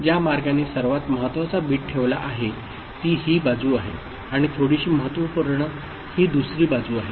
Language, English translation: Marathi, And the way it is put the most significant bit is this side and least significant is bit is the other side